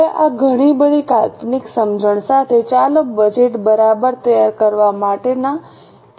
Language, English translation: Gujarati, Now with this much of conceptual understanding, let us go for cases for preparation of budgets